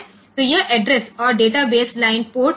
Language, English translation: Hindi, So, this address and data base lines are there and for port P 3